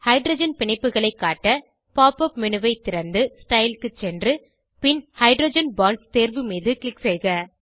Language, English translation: Tamil, To display hydrogen bonds: Open the pop up menu and scroll down to Style and then to Hydrogen Bonds option